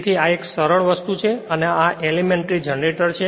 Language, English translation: Gujarati, So, this is a simple thing so, this is elementary generator